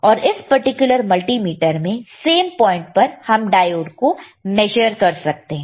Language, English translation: Hindi, And in this particular multimeter, same point we can measure diode all right